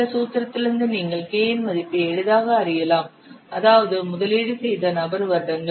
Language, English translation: Tamil, From this formula you can easily find out the value of K, that means the person years invested